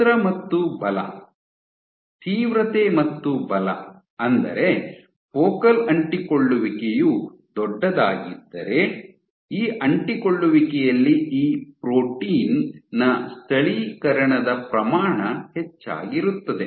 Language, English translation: Kannada, Size and force, and intensity and force which means that given if a focal adhesion is bigger there is increased amount of local localization of that protein at this adhesion